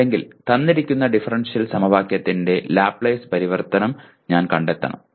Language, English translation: Malayalam, Or I have to find a Laplace transform of a given differential equation